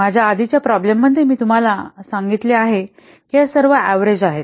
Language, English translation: Marathi, In my previous problem I have already told you that these are all what average